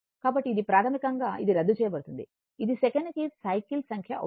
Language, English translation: Telugu, So, it basically it will cancel it will become number of cycles per second